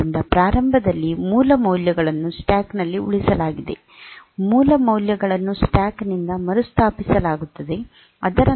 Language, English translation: Kannada, So, the original values were saved in the stack at the beginning original values are restored from the stack